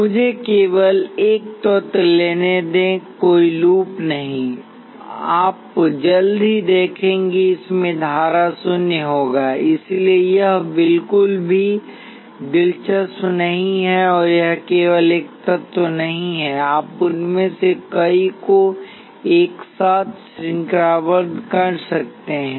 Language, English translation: Hindi, Let me take just a single element, there is no loop, you will quickly see that the current in this will be zero, so it is not interesting at all and it is not just a single element you can have a number of them chain together